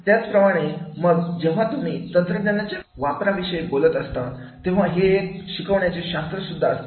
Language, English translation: Marathi, Similarly, then when you talking about the use of technology, so it is a science of teaching